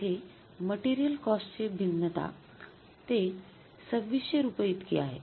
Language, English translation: Marathi, Material cost variance is rupees 2,600 adverse